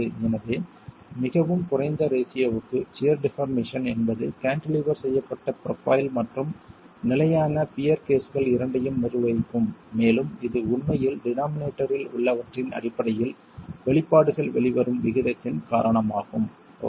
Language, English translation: Tamil, So, for fairly low aspect ratios, the shear deformation is what will govern for both the cantilevered profile and the fixed pure cases and that's really because of the way the expressions pan out in terms of what is on the denominator